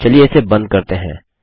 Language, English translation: Hindi, Let us close this